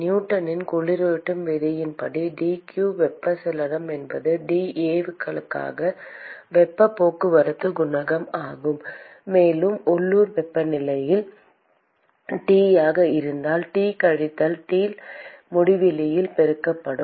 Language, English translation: Tamil, And similarly from Newton’s law of cooling, dq convection is heat transport coefficient into dAs and if the local temperature is T, multiplied by T minus T infinity